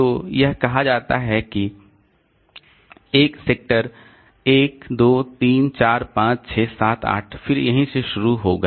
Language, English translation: Hindi, So, it is say sector one, two, three, four, five, six, seven, eight